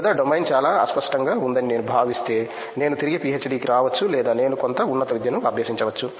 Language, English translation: Telugu, Or if I feel that the domain is too vague then I may come back to PhD or I may pursue for some higher education